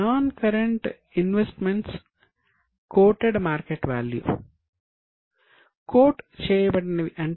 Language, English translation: Telugu, Non current investment coated market value